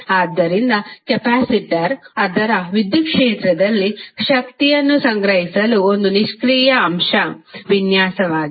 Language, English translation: Kannada, So, capacitor is a passive element design to store energy in its electric field